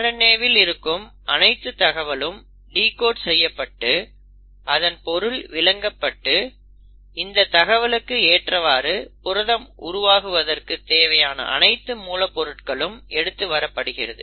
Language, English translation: Tamil, And then, all the information which is present in the RNA is then decoded, is understood and accordingly the ingredients are brought in for the formation of a complete protein